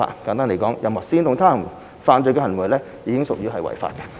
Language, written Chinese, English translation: Cantonese, 簡單而言，任何煽動他人犯罪的行為已經屬於違法。, In short any act of inciting others to commit an offence is already an offence